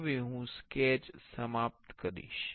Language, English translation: Gujarati, Now, I will finish the sketch